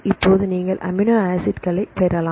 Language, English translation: Tamil, Now, you can get the amino acids